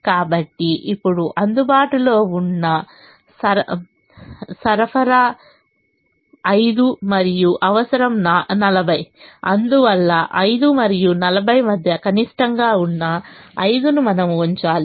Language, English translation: Telugu, so now the available supply is five and the requirement is forty, and therefore you put the minimum between five and forty, which is five